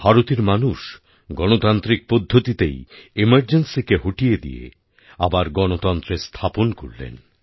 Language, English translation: Bengali, The people of India got rid of the emergency and reestablished democracy in a democratic way